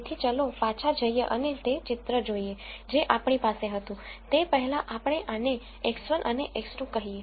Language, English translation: Gujarati, So, let us go back and look at the picture that we had before let us say this is X 1 and X 2